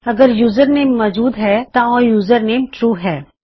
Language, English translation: Punjabi, if the username exists so the username is true..